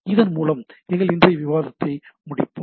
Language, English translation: Tamil, So, with this let us conclude today